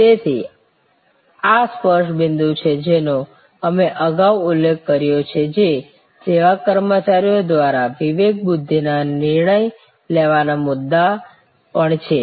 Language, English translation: Gujarati, So, these are the touch points, that we have referred to earlier, which are also discretion point decision making points for service employees